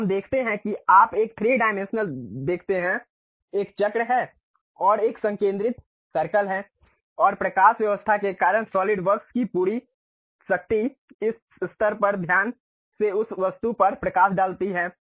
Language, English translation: Hindi, So, let us look at that you see a 3 dimensional there is a circle and there is a concentric circle and because of lighting, the entire power of solid works comes at this level by carefully giving light on that object